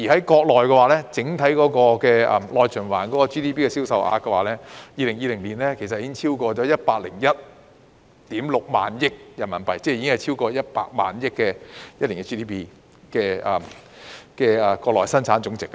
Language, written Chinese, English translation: Cantonese, 國家整體內循環的 GDP 在2020年已經超過 101.6 萬億元人民幣，即國內生產總值已經超過100萬億元。, The countrys domestic circulation already contributed over RMB101.6 trillion to its GDP in 2020 meaning that its GDP has exceeded RMB100 trillion